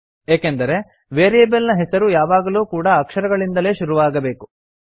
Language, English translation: Kannada, This is because a variable name must only start with an alphabet or an underscore